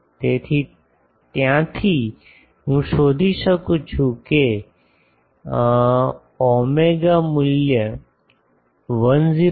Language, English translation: Gujarati, So, from there I can find out the psi value will be 106